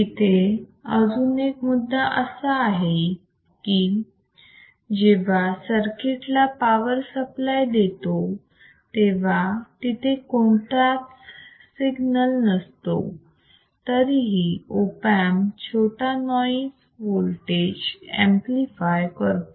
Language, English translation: Marathi, Another point is, when the power supply is given to the circuit, there is no signngleal, byut the small noise voltages aore amplifiedr by the Op amp